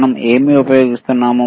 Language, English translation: Telugu, What are we using